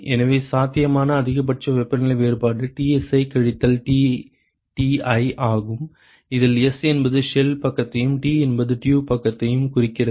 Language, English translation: Tamil, So, the maximum possible temperature difference the maximum possible temperature difference is Tsi minus Tti, where s stands for the shell side and t stands for the t stands for the tube side